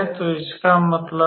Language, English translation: Hindi, So, we know that